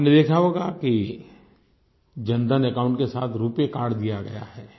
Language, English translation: Hindi, You must have seen that along with the Jan Dhan account people have been given a RuPay card